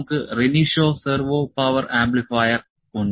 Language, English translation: Malayalam, So, we have Renishaw Servo Power Amplifier